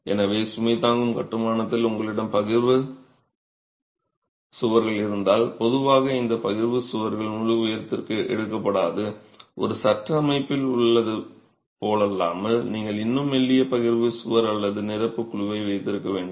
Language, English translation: Tamil, So, if you have partition walls in load bearing constructions, typically these partition walls are not taken to full height, unlike in a frame system where you can still have a rather slender partition wall or an infill panel